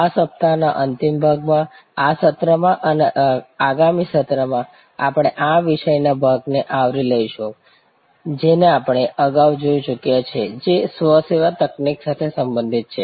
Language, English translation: Gujarati, In the concluding part of this week, in this session and in the next session we will be covering part of the subject which we have already touched upon earlier, which relates to self service technology